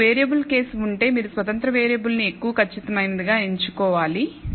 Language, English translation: Telugu, If you have a 2 variable case you should choose the independent variable as the one which is the most accurate one